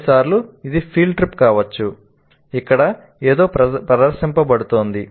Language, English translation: Telugu, Sometimes it can be a field trip where something is demonstrated